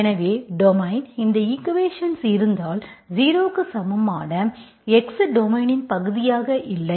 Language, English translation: Tamil, So your domain, if at all you have with this equation, x equal to 0 is not part of the domain